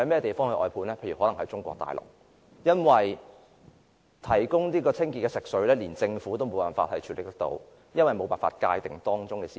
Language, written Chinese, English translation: Cantonese, 答案可能是中國大陸，因為政府無法界定牽涉的私有產權，因此無法提供清潔食水。, The answer is probably Mainland China . Since the Government fails to define the private ownership rights involved it is unable to provide clean potable water